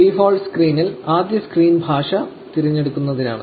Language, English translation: Malayalam, On the default screen, the first screen is to select the language